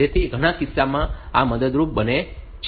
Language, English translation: Gujarati, So, that becomes helpful in many cases